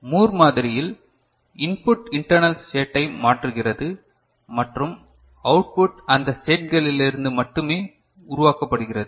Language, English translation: Tamil, In Moore model, we had seen that input effects the internal state and output is generated from those states only